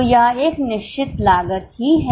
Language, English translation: Hindi, So, it remains a fixed cost